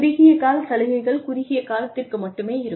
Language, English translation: Tamil, The short term incentives are short lived